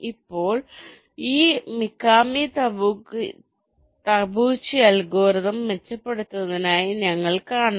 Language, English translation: Malayalam, ok, now you see, this is an improvement over the mikami tabuchi algorithm